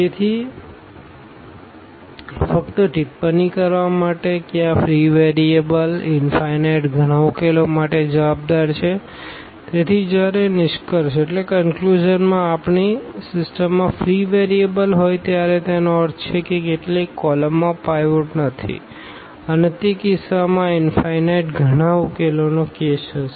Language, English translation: Gujarati, So, just to remark, that these free variables are the responsible for infinitely many solutions, so, in conclusion whenever we have free variables in our system; that means, some columns do not have a pivot and in that case there will be a case of this infinitely many solutions